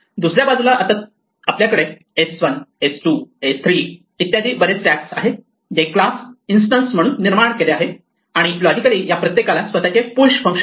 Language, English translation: Marathi, On the other hand, now we have several stacks s1, s2, s3, etcetera which are created as instance as class, and logically each of them has it is own push function